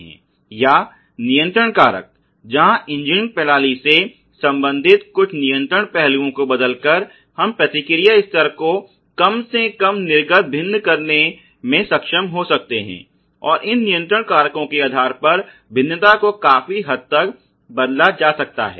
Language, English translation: Hindi, Or control factors, where by changing certain control aspects related to the engineered system, we can in way the able to vary the response level at least the output and the variation part can be substantially altered ok based on these control factors